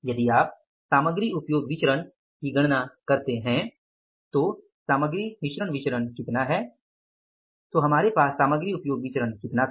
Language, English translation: Hindi, So, material mixed variance is how much if you calculate the material usage variance